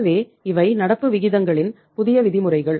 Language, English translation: Tamil, So these are the new norms of the current ratios